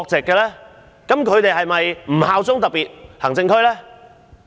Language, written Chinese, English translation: Cantonese, 這樣他們是否不效忠特別行政區？, Does it mean that they do not have to pledge allegiance to the SAR?